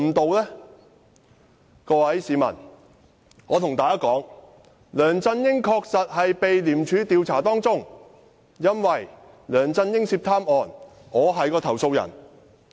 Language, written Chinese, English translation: Cantonese, 我要告訴各位市民，梁振英確實正被廉署調查，因為我是梁振英涉貪案的投訴人。, I would like to tell members of the public LEUNG Chun - ying is indeed being investigated by ICAC because I am the one who lodged a complaint against him